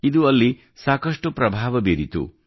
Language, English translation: Kannada, It has had a great impact there